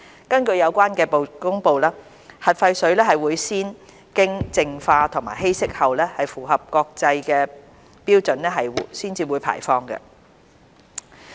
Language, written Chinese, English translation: Cantonese, 根據有關的公布，核廢水會先經淨化和稀釋後，符合相關國際標準才會排放。, According to the announcement the nuclear wastewater will be purified and diluted to meet relevant international standards before being discharged